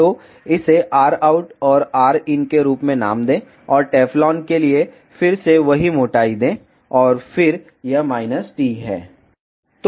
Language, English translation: Hindi, So, name it as r out and r in and for Teflon again give the same thickness and then this is minus t